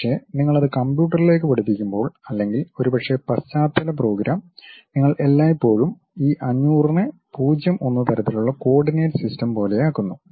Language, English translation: Malayalam, But, when you are teaching it to the computer the modules, when you are going to develop or perhaps the background program you always normalize this one 500 to something like 0 1 kind of coordinate system